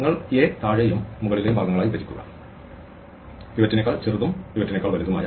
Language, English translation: Malayalam, You partition A, into the lower and upper parts, those which are smaller than the pivot, and those which are bigger than the pivot